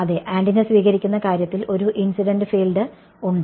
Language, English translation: Malayalam, Yes, in the case of receiving antenna there is an incident field right